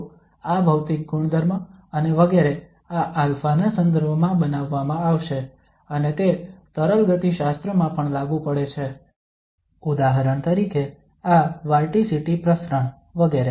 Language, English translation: Gujarati, So this material property and etcetera will be modeled in terms of this alpha and also it also has application in fluid dynamics, for example the diffusion of this vorticity etcetera